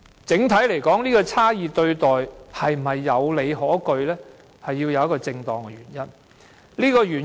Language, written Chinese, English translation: Cantonese, 整體來說，這種差異對待是否有理可據，在於有否正當原因。, Generally speaking such differential treatment hinges on whether or not there is a reasonable ground or a legitimate aim